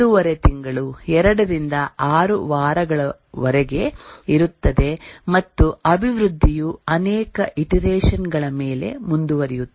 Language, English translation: Kannada, 5 month, 2 to 6 weeks and the development proceeds over many iterations